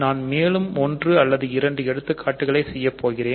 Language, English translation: Tamil, So, I will just do one or two more examples